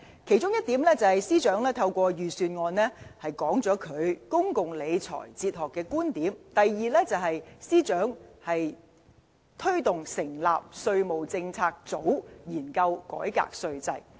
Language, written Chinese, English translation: Cantonese, 其中一點，是司長透過預算案表達他對公共理財哲學的觀點；第二，司長推動成立稅務政策組研究改革稅制。, First through the Budget the Financial Secretary has articulated his philosophy of public finance; second he has promoted setting up a tax policy unit to study tax reform